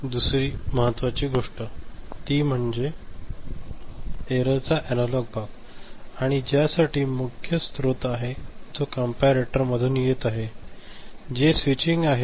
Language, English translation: Marathi, So, the other thing that is important here is the analog part of the error right, and which is for which the main source is the one that is coming from the comparator ok, the switching that is taking place